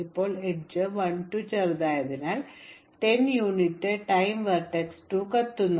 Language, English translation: Malayalam, Now since the edge 1 2 is shorter in 10 units of time vertex 2 will burn